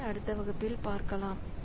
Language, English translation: Tamil, So, that we will do in the next lecture